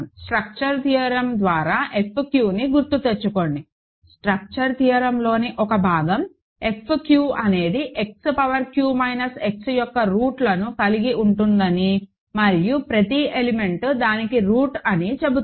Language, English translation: Telugu, Remember F q by the structure theorem, one of the parts in the structure theorem says that F q consists of roots of X power q minus X and every element is the root of that